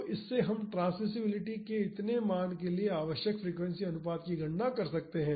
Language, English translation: Hindi, So, from this we can calculate the frequency ratio needed for this much amount of transmissibility